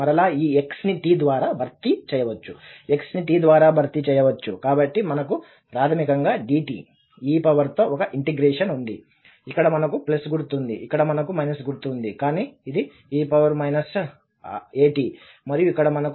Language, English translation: Telugu, So again, this t may be replaced by, x may be replaced by t so we have basically the same integral with dt, e power, here we have the plus sign, here we have minus sign but this is e power minus a t and here also we have this t e power minus a t